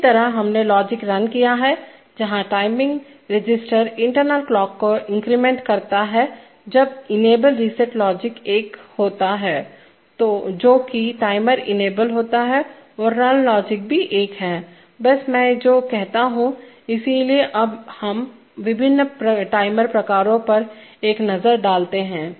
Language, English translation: Hindi, Similarly we have run logic where timing register increments with the internal clock when the enable reset logic is one, that the timer is enabled and the run logic is also one, just what I say, so now we take a look at the different kinds of timers first is the ON delay timer